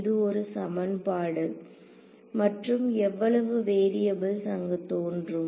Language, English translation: Tamil, So, this is one equation and how many variables will appear over here